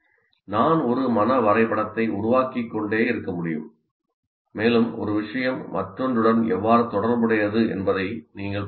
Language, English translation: Tamil, And I can keep on building a mind map and you can see how one thing is related to the other, can be related to the other